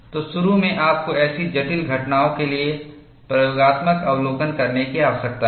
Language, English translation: Hindi, So, initially you need to have experimental observation for such complex phenomena